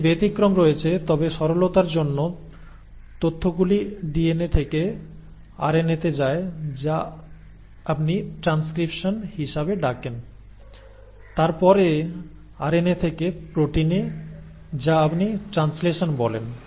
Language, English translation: Bengali, There are exceptions to it but by and large for simplicity's sake, the information flows from DNA to RNA which is what you call as transcription; then from RNA into protein which is what you call as translation